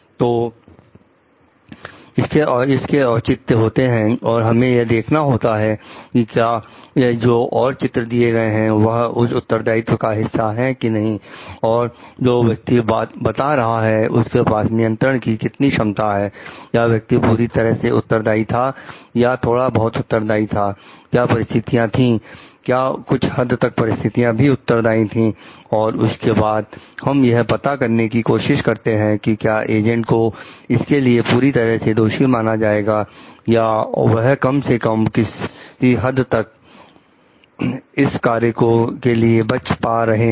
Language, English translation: Hindi, So, these are justifications and we have to see whether, these justifications given, what is the part of responsibility, what is the degree of control that the person telling was having, was the person fully responsible, somewhat responsible, what are the situational was a situation responsible to certain extent and then we try to figure out like whether, the agent is fully to blame for it or they at least can be partially excused for doing the act